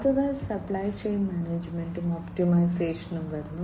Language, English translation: Malayalam, Next comes supply chain management and optimization